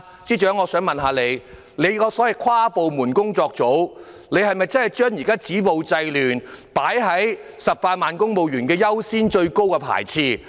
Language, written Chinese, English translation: Cantonese, 請問司長，跨部門工作組是否把"止暴制亂"作為18萬公務員最優先、最首要的工作？, May I ask the Chief Secretary whether the interdepartmental working group has set stopping violence and curbing disorder as the priority task of the 180 000 civil servants?